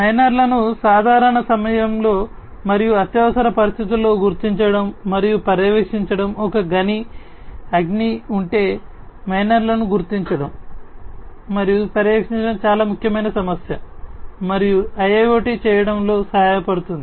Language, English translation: Telugu, Locating and monitoring the miners during normal times and during emergency situations let us say if there is a mine fire locating and monitoring the miners is a very important problem and IIoT can help in doing